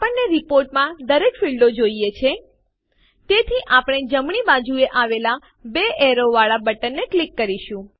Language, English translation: Gujarati, We want all the fields in our report, so well simply click on the double arrow button towards the right